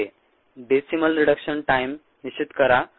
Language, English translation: Marathi, determine the decimal reduction time